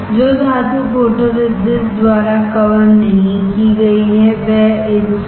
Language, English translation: Hindi, The metal which is not covered by photoresist got etched